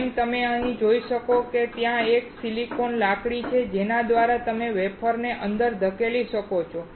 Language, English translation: Gujarati, As you can see here, there is a silicon rod through which you can push the wafer inside